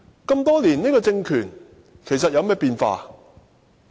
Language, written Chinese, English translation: Cantonese, 經歷多年，這個政權其實有何變化？, What changes have taken place with this regime after so many years?